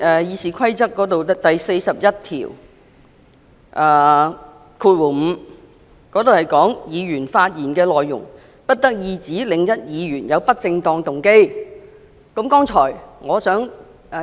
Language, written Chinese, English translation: Cantonese, 《議事規則》第415條提到"議員發言的內容不得意指另一議員有不正當動機"。, Rule 415 of the Rules of Procedure states that A Member shall not impute improper motives to another Member